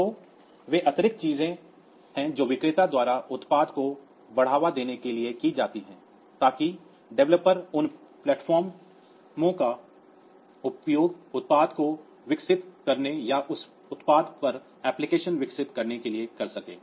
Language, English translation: Hindi, So, they are the additional things that are done by the vendor to promote the product so that the developers can use those platforms to develop product on or develop applications on that product